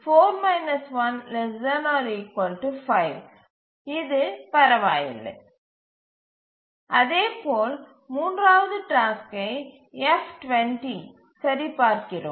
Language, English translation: Tamil, So this is okay and similarly we check for the third task F comma 20